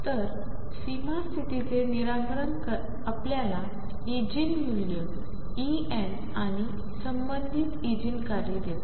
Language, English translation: Marathi, So, the satisfaction of boundary condition gives you the Eigen values energy E n and the corresponding Eigen functions